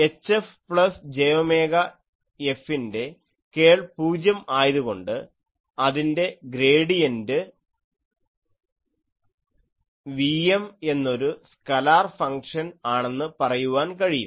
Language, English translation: Malayalam, So, I can write H F plus j omega F that since curl of this is 0, I can say that gradient of these is a scalar function Vm